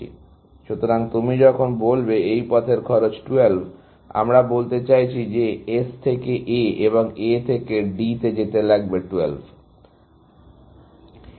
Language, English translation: Bengali, So, when you say the cost of this path is 12, we mean that to go from S to A and A to D is 12